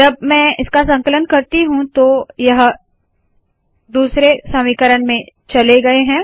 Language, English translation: Hindi, When I compile it, now these have gone to second equation